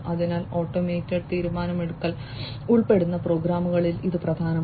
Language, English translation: Malayalam, So, it is important in programs, which involve automated decision making